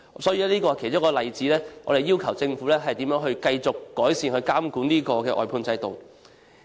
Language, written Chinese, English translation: Cantonese, 這是其中一個例子解釋為何我們要求政府繼續改善監管外判制度。, This is an example explaining why we call on the Government to continuously enhance its supervision of the outsourcing system